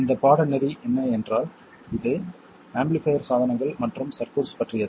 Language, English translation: Tamil, It's about amplifier devices and circuits